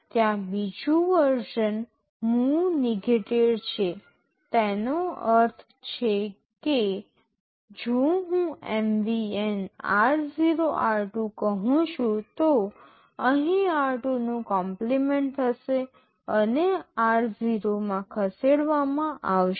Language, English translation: Gujarati, There is another version move negated; that means, if I say MVN r0,r2 here this 2 will be complemented and will be moved into r0